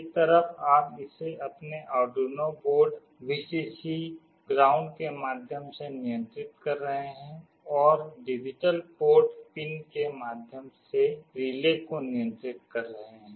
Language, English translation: Hindi, On one side you are controlling this from your Arduino board, Vcc, ground, and through a digital port pin you are controlling the relay